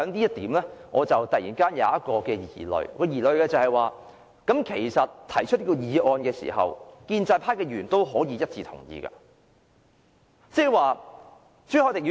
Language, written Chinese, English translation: Cantonese, 就此，我突然心生疑慮，就是這項議案提出後，其實建制派議員也是可以一致同意的。, As such I suddenly got the following suspicion . After this motion was proposed actually Members of the pro - establishment camp can voice unanimous approval